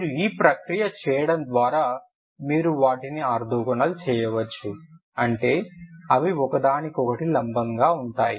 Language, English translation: Telugu, You can do this process and create you can make them orthogonal that means they are perpendicular to each other ok